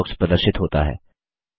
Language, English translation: Hindi, The Search box appears